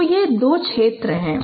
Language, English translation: Hindi, So, so these are the two regions